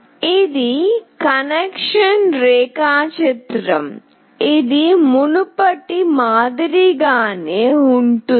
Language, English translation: Telugu, This is the connection diagram, which is very similar to the previous one